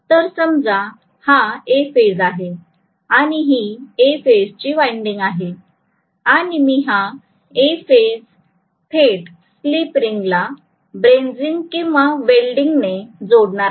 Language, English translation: Marathi, So this is let us say for A phase, so may be this is A phase winding and I am going to connect this A phase directly to the A phase slip ring brazed or welded